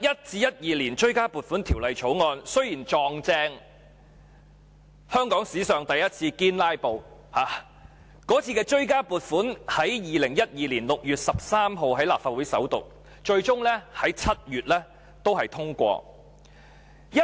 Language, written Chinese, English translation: Cantonese, 《追加撥款條例草案》雖然剛好遇上香港史上第一次"堅拉布"，該次追加撥款在2012年6月13日在立法會首讀，最終在7月通過。, The Supplementary Appropriation 2011 - 2012 Bill which happened to run into genuine filibustering for the first time in the history of Hong Kong was tabled before the Legislative Council for First Reading on 13 June 2012 and was ultimately passed in July